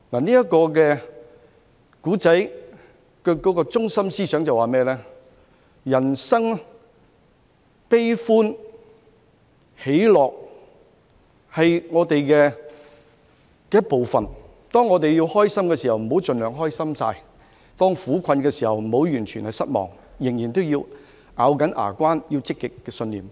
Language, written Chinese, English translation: Cantonese, 這個故事的中心思想告訴我們，人生悲歡喜樂是我們的一部分，當我們開心時，不用盡情大喜；當我們苦困時，亦不要完全失望，仍然要咬緊牙關，抱持積極信念。, This story tells us that life is sweet and bitter . In happy times let us not be overjoyed; in times of suffering do not feel despondent . We still have to fight with resilience and stay positive